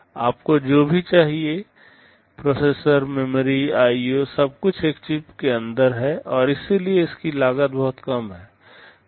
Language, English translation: Hindi, Whatever you need, processor, memory, IO everything is inside a single chip and therefore, it is very low cost